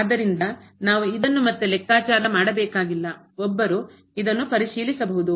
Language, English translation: Kannada, So, we do not have to compute this again one can check or one can verify this